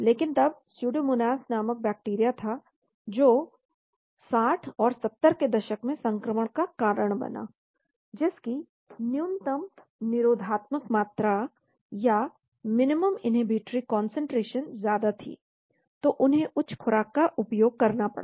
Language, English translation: Hindi, But then there were bacteria called pseudomonas which caused infection in 60s and 70s, so that had higher minimum inhibitory concentration , so they had to use higher doses